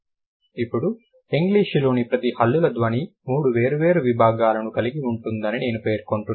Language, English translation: Telugu, Now we will see as I mentioned each consonant sound of English will have three different domains